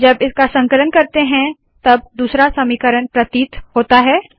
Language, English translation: Hindi, When I compile it, I get the second equation appearing